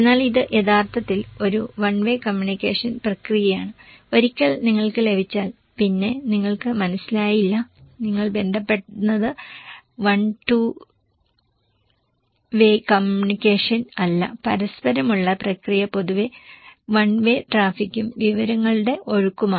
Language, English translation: Malayalam, But it’s actually a one way communication process, once you receive then you didn’t understand then you again, you contact it is not a one two way communication, reciprocal process is generally one way traffic and flow of information